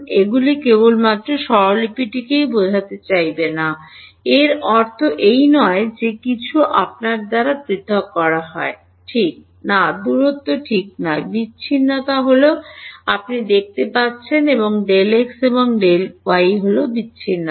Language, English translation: Bengali, Do not thing that these I mean only the notation is i j does not mean that everything is separated by you not distance right the separation is their you can see delta x and delta y is the discretization